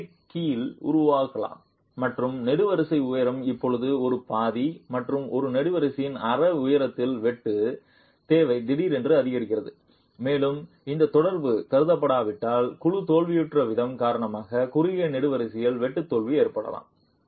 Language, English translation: Tamil, Plastic hinge can form and the wall, the column height is now one half and the sheer demand on one half height of a column suddenly increases and unless this interaction has been considered you can have shear failure occurring in the short column due to the way the panel fails